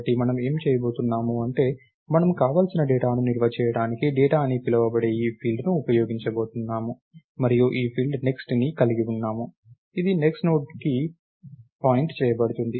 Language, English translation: Telugu, what we are going to do is, we are going to use this field called data to store the data that we want and we are going to have this field called next which is going to point to the next node